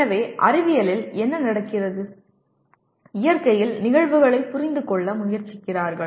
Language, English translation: Tamil, So here what happens in science, you are trying to understand phenomena in the nature